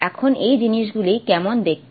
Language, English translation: Bengali, Now how do these things look like